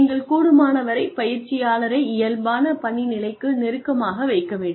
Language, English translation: Tamil, Then, you place the learner, as close to the normal working position, as possible